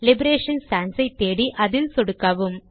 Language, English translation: Tamil, Search for Liberation Sans and simply click on it